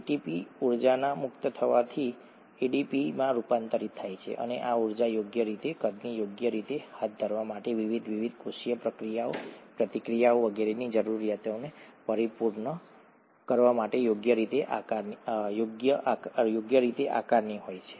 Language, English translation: Gujarati, ATP gets converted to ADP, by the release of energy and this energy is rightly sized, right, to carry out, to fulfil the needs of various different cellular processes, reactions maybe and so on so forth